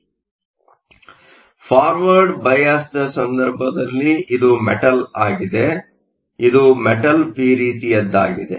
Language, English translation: Kannada, So, in the case of a forward bias, so this is my metal, this is my p type